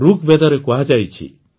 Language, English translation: Odia, In Rigveda it is said